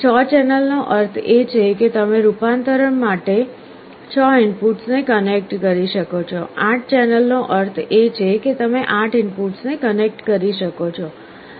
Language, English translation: Gujarati, 6 channel means you could connect 6 inputs for conversion; 8 channel means you could connect 8 inputs